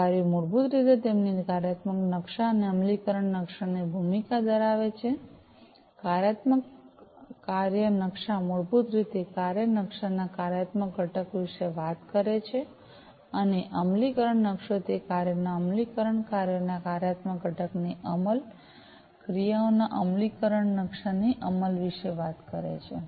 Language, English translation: Gujarati, So, these tasks basically have their roles the functional map and the implementation map, the functional map basically talks about the functional component of the task maps, and the implementation map talks about the execution of those tasks, execution of the functional component of the tasks functional map, and the execution of the tasks implementation map